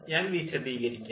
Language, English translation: Malayalam, i have explained